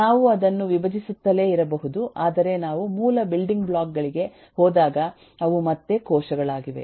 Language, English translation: Kannada, we can keep on decomposing that, but when we go to the basic building blocks, they are again cells